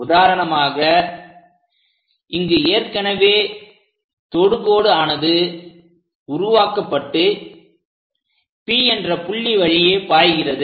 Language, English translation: Tamil, For example, here we have already have constructed a tangent line passing through point P